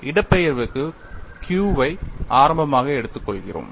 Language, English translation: Tamil, For the displacement, we have taken Q as the origin